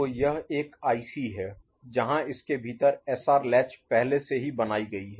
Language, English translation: Hindi, So, this is one IC where within it, the SR latch is already made, ok